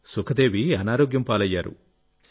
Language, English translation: Telugu, And Sukhdevi got sick